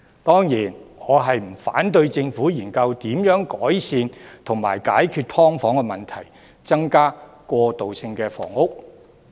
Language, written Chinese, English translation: Cantonese, 當然，我不反對政府研究如何改善及解決"劏房"問題，並增加過渡性房屋。, Certainly I do not object to the Government studying how to improve and solve the problem of subdivided units and increase transitional housing